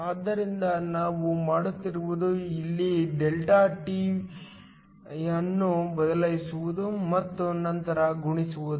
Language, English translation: Kannada, So, all we are doing is substituting ΔT here and then just multiplying